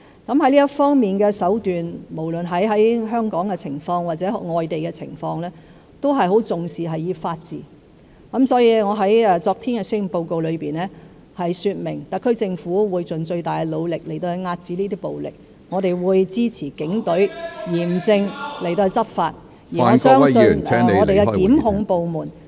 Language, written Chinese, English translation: Cantonese, 就這方面的手段，香港或外地均十分重視法治，所以，我昨天在施政報告中說明，特區政府會盡最大努力遏止暴力，我們亦會支持警隊嚴正執法，相信檢控部門和司法機關日後也會處理這些......, In this connection Hong Kong and foreign places attach great importance to the rule of law; therefore I stated in the Policy Address yesterday that the SAR Government will make full effort to end violence . We will also support the Police Force to strictly enforce the law . I believe the prosecution agencies and the Judiciary will handle these matters in the future